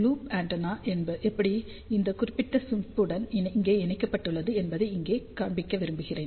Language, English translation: Tamil, I just want to show you here how loop antenna is connected to this particular chip over here